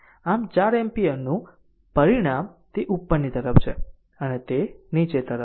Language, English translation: Gujarati, So, resultant of 4 ampere it is upward and it is downwards